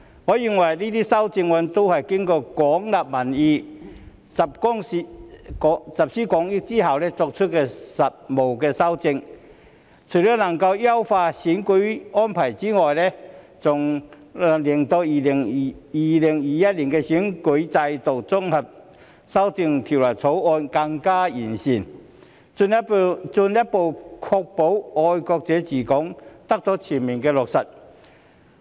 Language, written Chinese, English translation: Cantonese, 我認為這些修正案均是經過廣納民意、集思廣益後作出的務實修訂，除了能夠優化選舉安排外，還能令《2021年完善選舉制度條例草案》更加完善，進一步確保"愛國者治港"得到全面落實。, I believe that these amendments are pragmatic amendments made after gauging public opinion extensively and drawing on collective wisdom . Apart from optimizing the electoral arrangements these amendments also better the Improving Electoral System Bill 2021 the Bill and further ensure the full implementation of patriots administering Hong Kong